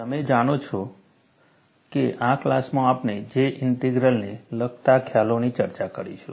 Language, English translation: Gujarati, You know, in this class, we will discuss concepts related to J Integral